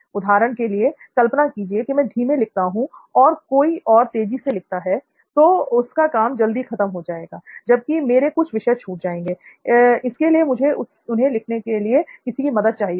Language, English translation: Hindi, For example imagine I am a slow writer and someone is a fast writer, he completes the things fast, I might skip out some topics, right, so I might need to write those things second